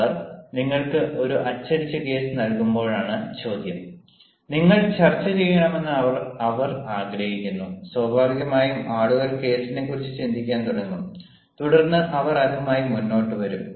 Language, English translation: Malayalam, now the question is: when they give you a printed case and they want you to discuss, naturally people will start the ah thinking on the case and then they will come up